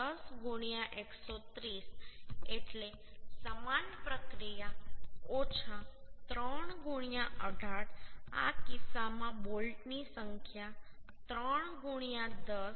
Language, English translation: Gujarati, 9 into 410 into 130 means similar process minus 3 into 18 in this case number of bolts are 3 into 10 by 1